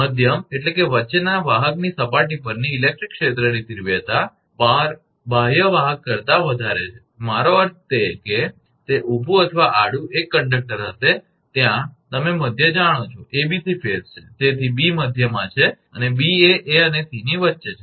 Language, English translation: Gujarati, The electric field intensity at the surface of middle conductor is higher than the outer conductors, out I mean whether it is a vertical or horizontal 1 conductor will be there at the you know middle, ABC phase, so B is in middle and A B is in between A and C